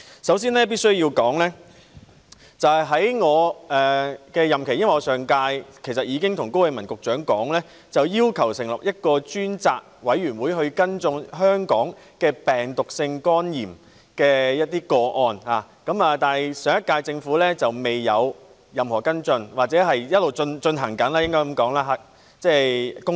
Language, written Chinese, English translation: Cantonese, 首先，我必須說，在我的任期......其實上屆立法會時，我已向高永文局長要求成立一個專責委員會跟進香港的病毒性肝炎個案，但上屆政府沒有任何跟進，或者公道點說，是在進行中。, Firstly I must say that during my tenure In fact during the previous term of the Legislative Council I already requested Secretary Dr KO Wing - man to set up a select committee to follow up cases of viral hepatitis in Hong Kong but the last - term Government failed to take any follow - up action . Perhaps to be fair the follow - up action is underway